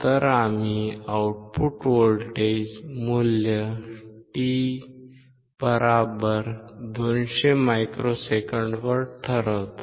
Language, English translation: Marathi, So we determine value of output voltage at t =200 microseconds